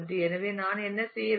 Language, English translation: Tamil, So, what I need to do